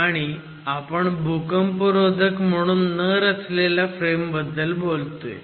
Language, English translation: Marathi, And we are talking of frames which are not designed seismically